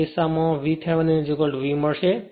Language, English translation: Gujarati, In that case what will happen you will find V Thevenin is equal to V